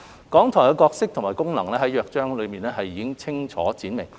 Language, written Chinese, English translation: Cantonese, 港台的角色和功能在《約章》中已清楚闡明。, The roles and functions of RTHK are clearly stipulated in the Charter